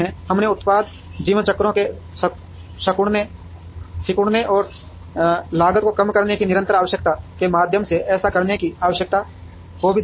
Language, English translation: Hindi, We also saw the need for doing this through shrinking product life cycles, and the constant need to reduce the cost